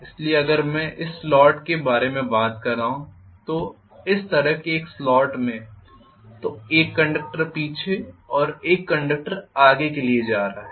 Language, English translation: Hindi, So if I am going to talk about a slot like this in this slot I am going to have 1 conductor at the back 1 conductor at the front